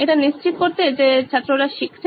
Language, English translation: Bengali, To ensure that the learning has happened